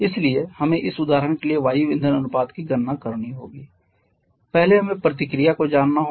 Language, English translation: Hindi, So, we have to calculate the air/fuel ratio in this example for that first we need to know the reaction